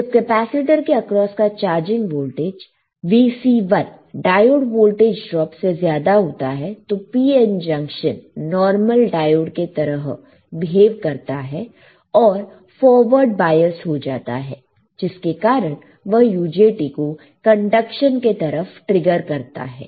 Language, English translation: Hindi, So, when the voltage across this capacitor Vc1, this one becomes greater than the diode voltage drop the PN junction behaves as normal diode and becomes forward biased triggering UJT into conduction, right